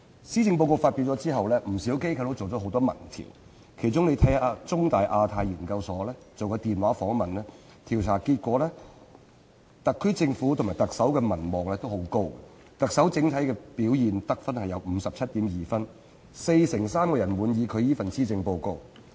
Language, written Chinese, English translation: Cantonese, 施政報告發表後，不少機構進行了多項民意調查，其中香港中文大學香港亞太研究所曾進行電話訪問，調查結果顯示，特區政府及特首的民望均很高，特首的整體表現獲 57.2 分，四成三人滿意她這份施政報告。, Following the delivery of the Policy Address quite a number of organizations have conducted various public opinion polls among which a telephone survey conducted by the Hong Kong Institute of Asia - Pacific Studies The Chinese University of Hong Kong indicated that both the SAR Government and the Chief Executive enjoyed high popularity ratings the performance rating of the Chief Executive stood at 57.2 and 43 % of the respondents found her Policy Address satisfactory